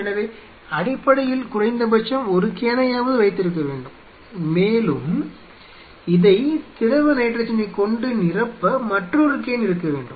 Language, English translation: Tamil, So, essentially have to have at least one can, one of these vessels and another one to bring the liquid nitrogen to fill this